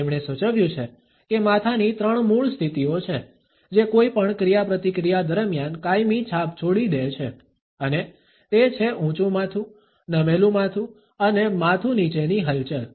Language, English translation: Gujarati, He has suggested that there are three basic head positions, which leave a lasting impression during any interaction and that is the head up, the head tilts and the head down movement